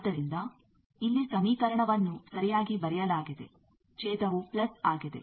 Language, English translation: Kannada, So, here the equation is correctly written the denominator is plus